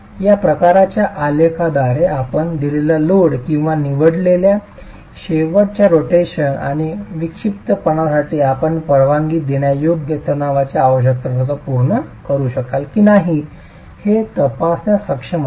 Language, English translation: Marathi, So in this, you will be, through this sort of a graph, you will be able to check if for a given load and selected end rotations and eccentricity would you be able to satisfy the requirements of the allowable stress itself